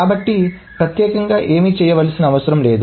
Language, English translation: Telugu, So, nothing needs to be done